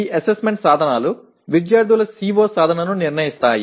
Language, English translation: Telugu, And these assessment instruments determine the students’ CO attainment